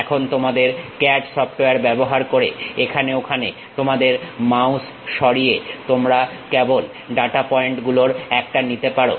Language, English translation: Bengali, Now, using your CAD software, you can just pick one of the data point move your mouse here and there